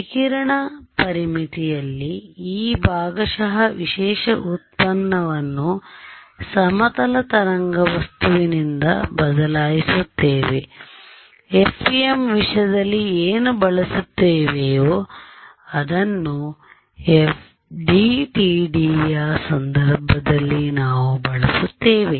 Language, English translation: Kannada, The radiation boundary condition, where we replace this partial the special derivative by the plane wave thing the; what we have we use in the case of FEM we use in the case of FDTD right, so, decays over here